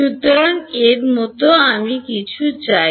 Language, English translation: Bengali, So, something like that is what I want